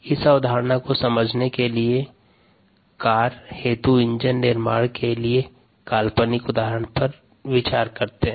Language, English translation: Hindi, let us consider an example, fictitious example, of making an engine for a car